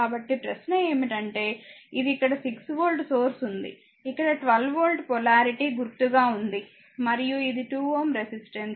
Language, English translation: Telugu, So, question is that ah these a this this ah there is a your 6 volt source here here also 1 2 voltes that polarity is are mark and this is a 2 ohm ah resistance